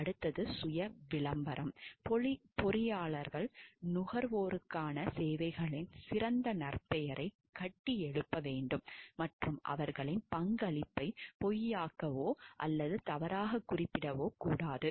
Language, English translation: Tamil, Next is self promotion, engineers shall build the reputation best of the merits of services to the consumers and shall not falsify or misrepresent their contribution